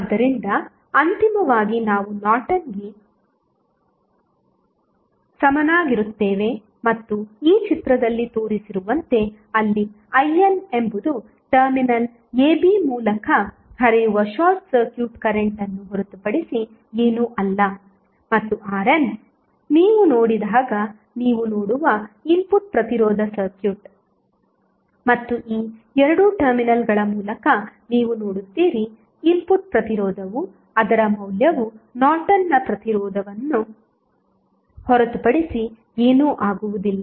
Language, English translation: Kannada, So, finally, we will get the Norton equivalent and as shown in this figure, where I n is nothing but the short circuit current which is flowing through the terminal AB and the R n is the input resistance which you will see when you see the circuit and you see through these 2 terminals, the input resistance the value of that would be nothing but Norton's resistance